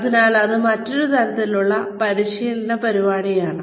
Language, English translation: Malayalam, So, that is another type of training program